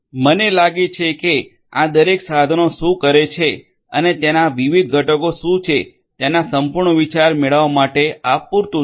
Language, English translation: Gujarati, I think this is sufficient just to get an overall idea of what each of these tools do and what are their different component